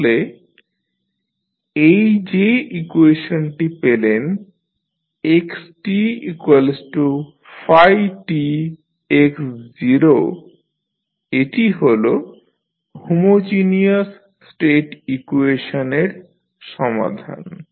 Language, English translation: Bengali, So, this equation which you have got xt is equal to phi t into x naught is the solution of homogeneous state equation